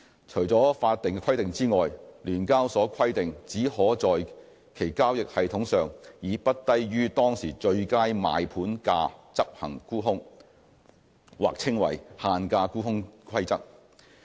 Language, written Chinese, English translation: Cantonese, 除了法定規定外，聯交所規定只可在其交易系統上，以不低於當時最佳賣盤價執行沽空。, Apart from the statutory requirements SEHK requires that short selling may be executed only on its trading system at or above the best current ask price